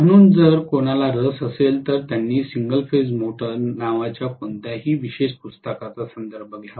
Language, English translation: Marathi, So, if anybody is interested, they should refer to any special book called single phase motor